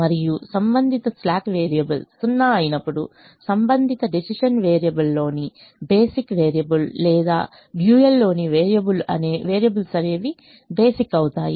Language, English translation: Telugu, and when the corresponding slack variable is zero, the corresponding basic variable in the corresponding various decision variable or variable in the dual will become basic